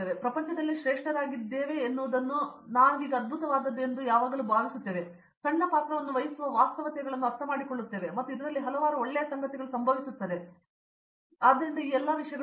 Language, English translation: Kannada, So, we always have a notion that we are the greatest in the world what we do is awesome, but we understand realities that we just play a small role and there are many good things happening in this (Refer Time: 53:57), so all these things